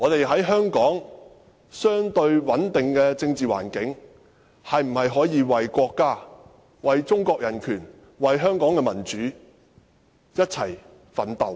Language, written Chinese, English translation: Cantonese, 香港的政治環境相對穩定，我可否為國家、為中國的人權及為香港的民主一起奮鬥？, Now that the political environment in Hong Kong is relatively stable can I do something for the country for human rights in China and for democracy in Hong Kong?